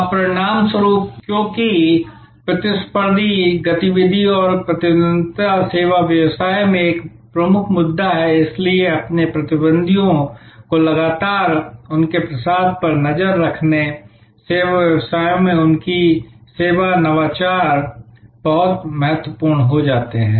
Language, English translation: Hindi, Now, as a result, because the competitive activity and rivalry is a major issue in service business, so constantly tracking your competitors their offerings, their service innovations become very important in services businesses